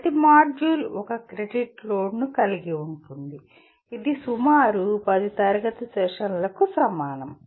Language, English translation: Telugu, Each module constitute one credit load which is approximately equal to, equivalent to about 10 classroom sessions